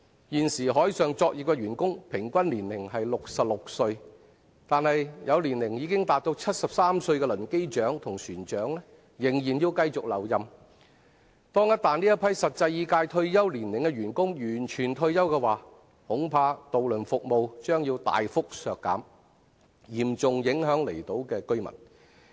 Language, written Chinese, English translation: Cantonese, 現時海上作業的員工平均年齡為66歲，但有年齡已達73歲的輪機長和船長仍需繼續留任，一旦這批實際已屆退休年齡的員工全部退休，恐怕渡輪服務將要大幅削減，嚴重影響離島居民。, At present the average age of employees in the maritime industry is 66 but some chief engineers and captains who have reached the age of 73 still need to stay at work . Once they have all retired the ferry services would be significantly reduced which would seriously affect the residents living on the outlying islands